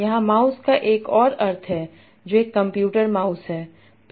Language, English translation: Hindi, Here is another sense of mouse, there is a computer mouse